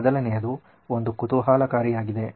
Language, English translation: Kannada, The 1st one is interesting